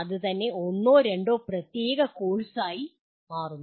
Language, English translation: Malayalam, That itself become a separate course or two